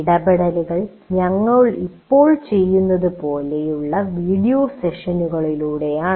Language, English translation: Malayalam, Interaction is through video sessions like what we are doing right now